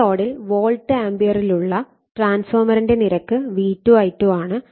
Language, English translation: Malayalam, So, transformer rating at in volt ampere = V2 I2